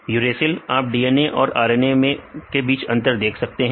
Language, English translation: Hindi, Uracil Uracil, you can see the difference between the DNA and RNA